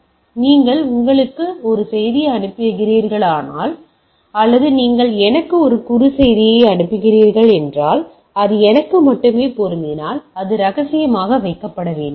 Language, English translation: Tamil, So, if you are if I am sending a message to you, or you’re sending a message to me, so if it is mean for me only so it should be kept confidential